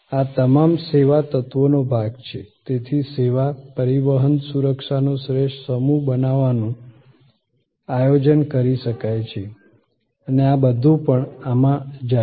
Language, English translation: Gujarati, All these are part of the service element thus can be planned to create a superior set of service, transport security and all these also go in this